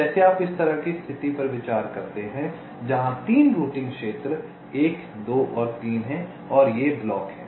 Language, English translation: Hindi, like you consider this kind of a situation where there are three routing regions: one, two and three, and these are the blocks